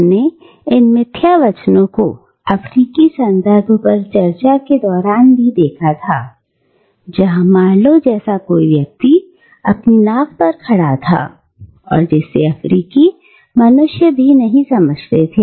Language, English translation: Hindi, And we have seen this snobbery at work when we discussed the African context, where to someone like Marlow, standing in his boat, the Africans do not even qualify as human beings